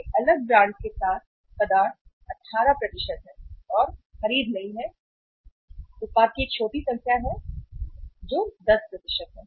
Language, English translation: Hindi, Substitute with a different brand is 18 and do not purchase the product is small number that is 10%